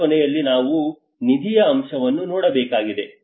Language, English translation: Kannada, At the end of the day, we need to look at the funding aspect